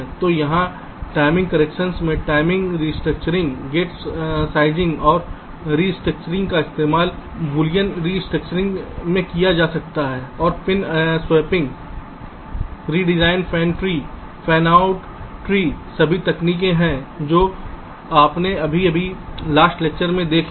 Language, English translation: Hindi, gate sizing and restructuring can be used in boolean restructuring and pin swapping, redesign, fanin trees, fanout trees, all the techniques that you have just now seen ok in the last lectures